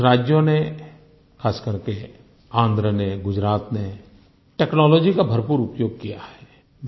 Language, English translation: Hindi, Some states, especially Gujarat and Andhra Pradesh have made full use of technology